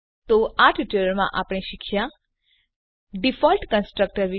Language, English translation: Gujarati, So in this tutorial, we have learnt About the default constructor